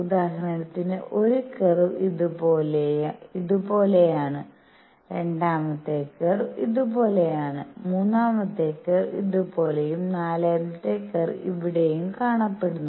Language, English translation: Malayalam, So, for example one curve looks like this, the second curve looks like this, third curve looks like this and the fourth curve looks like right here